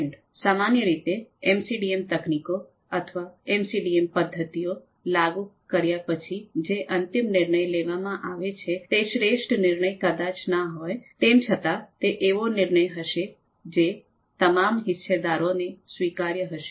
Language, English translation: Gujarati, So the final decision that we typically get after applying MCDM techniques MCDM methods, they may not be the best possible one, but they are of course going to be one that is acceptable to all the stakeholders